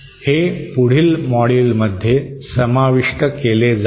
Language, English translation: Marathi, So that will be covered in the next module